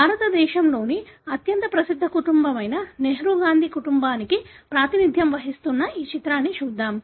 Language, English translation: Telugu, Let us look into this picture which represents the very famous family in India, the Nehru Gandhi family